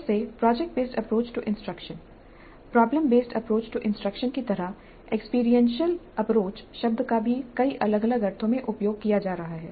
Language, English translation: Hindi, Again like product based approach to instruction, problem based approach to instruction, the term experiential approach is also being used in several different senses